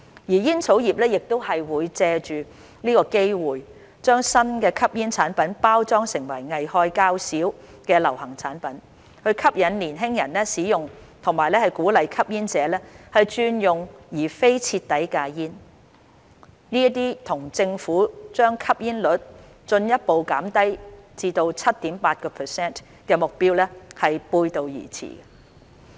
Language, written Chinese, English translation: Cantonese, 煙草業亦會借着這個機會，將新吸煙產品包裝成危害較少的流行產品，吸引年輕人使用和鼓勵吸煙者轉用而非徹底戒煙，這亦與政府將把吸煙率進一步減至 7.8% 的目標背道而馳。, The tobacco industry will also take this opportunity to package new smoking products as less harmful and popular products to attract young people to use them and encourage smokers to switch to smoking them instead of quitting smoking altogether . This also runs counter to the Governments goal of further reducing smoking prevalence to 7.8 %